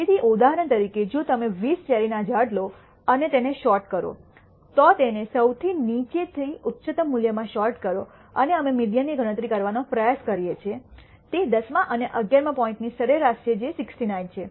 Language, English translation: Gujarati, So, as an example if you take the 20 cherry trees and sort them out, sort it from the lowest to highest value, and we try to compute the median it turns out the median is the average of the tenth and eleventh point which is 69